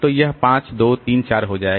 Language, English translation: Hindi, So, it becomes 5, 3, 4